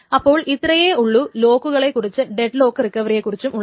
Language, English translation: Malayalam, So that is all the things about this locks and the deadlock recovery, etc